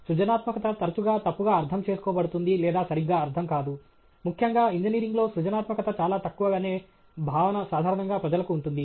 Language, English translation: Telugu, Creativity is often misunderstood or not understood properly; particularly, in engineering, generally people have a feeling that creativity is very less